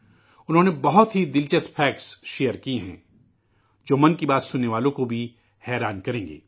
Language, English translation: Urdu, He has shared very interesting facts which will astonish even the listeners of 'Man kiBaat'